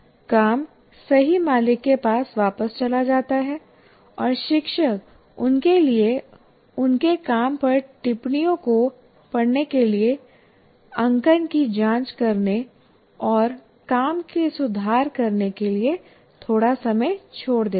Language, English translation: Hindi, The work goes back to the rightful owner and she leaves a little time for them to read the comments on their work to check the marking and to improve the work